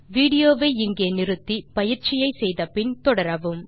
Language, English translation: Tamil, Please, pause the video here, do the exercise and then continue